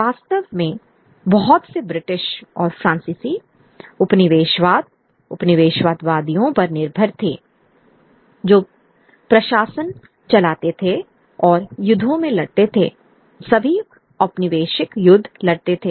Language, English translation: Hindi, In fact, much of British and French colonialism dependent on the colonizers as those who ran the administration and fought in the wars, fought all the colonial wars